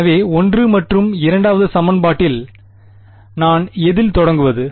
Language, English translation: Tamil, So, of equation 1 and 2 what do I begin with